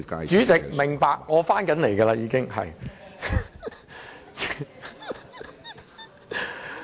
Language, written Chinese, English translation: Cantonese, 主席，明白，我將要說回正題。, President I understand that I am going to speak on the subject